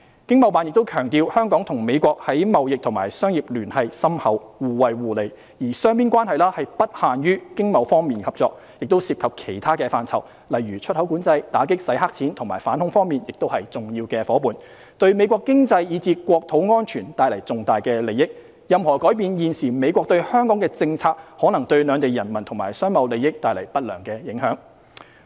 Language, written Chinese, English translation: Cantonese, 經貿辦亦強調香港與美國在貿易及商業聯繫深厚，互惠互利，而雙邊關係不限於經貿方面合作，亦涉及其他範疇，例如在出口管制、打擊洗黑錢及反恐方面亦是重要夥伴，對美國經濟以至國土安全帶來重大利益，現時美國對香港的政策的任何改變可能對兩地人民和商貿利益帶來不良影響。, ETOs also highlighted the close and mutually beneficial ties between Hong Kong and the United States in trade and commerce and such bilateral relations are not confined to economic and trade cooperation . Other areas such as export control anti - money laundering and counter - terrorism are also involved in which their important partnership has brought significant benefits to the United States economy and homeland security . At present any change to the policy of the United States towards Hong Kong may have adverse impact on the people and business - trade interests of both places